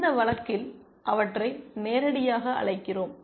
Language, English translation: Tamil, In this case we are explicitly calling them live